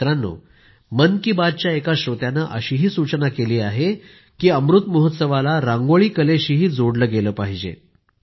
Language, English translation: Marathi, similarly a listener of "Mann Ki Baat" has suggested that Amrit Mahotsav should be connected to the art of Rangoli too